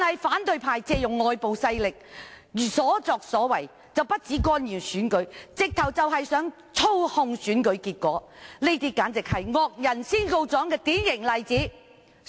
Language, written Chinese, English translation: Cantonese, 反對派借用外部勢力，所作所為不僅是干預選舉，簡直是想操控選舉結果，這是惡人先告狀的典型例子。, With the help of foreign forces the opposition camp has not only interfered in the election but intended to manipulate the election results . This is a typical example of the problem maker being the first one to file a complaint